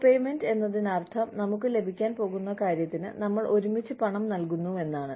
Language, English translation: Malayalam, Copayment is again, we are paying together, for something that, we are going to get